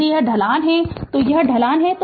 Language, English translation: Hindi, If this is the slope this is the slope